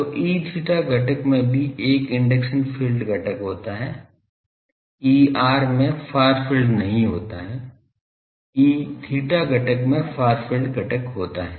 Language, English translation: Hindi, So, E theta component also as an induction field component E r does not have a far field E theta component has a far field component